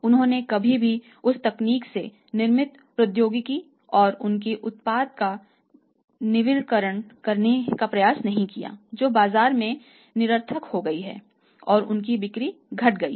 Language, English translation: Hindi, They never try to renovate technology and their product manufactured out of that technology that became redundant in the market and their sales dropped